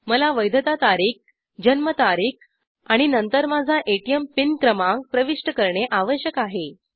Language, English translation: Marathi, I need to enter the validity date , Date Of Birth and then my ATM pin number